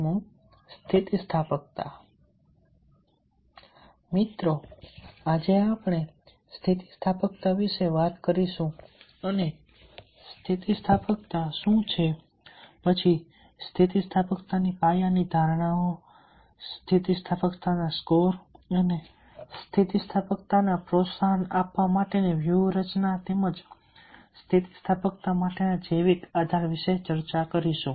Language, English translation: Gujarati, friends, in this session we will be talking about resilience and we will be discussing about what is resilience, then, foundational assumptions of resilience, resilience score and the strategies to promote resilience, as well as the basis, biological basis for resilience